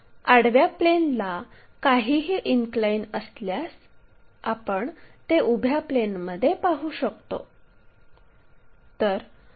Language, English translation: Marathi, Anything inclined to horizontal plane we can be in a position to see it in the vertical plane